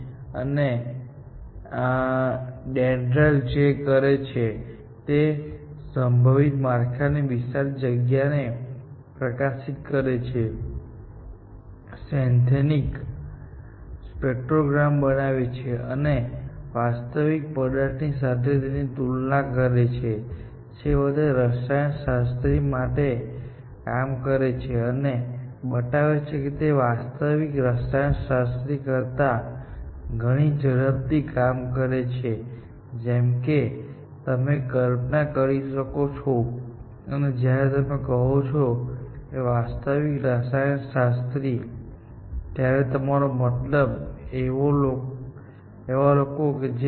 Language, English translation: Gujarati, What DENDRAL would do is that it would expose this huge space of all possible structures, generates this synthetic spectrograms, and compare it with the one of the original material, and eventually, do the job for the chemist, and it turns out that this was working, of course, much faster than real chemist, as you can imagine; and doing equally, well or almost, equally well and when you say real chemist means people, who have PHDs essentially